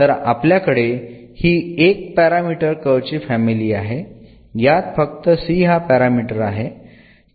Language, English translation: Marathi, So, here we have this one parameter family the c is the only parameter in this in this equation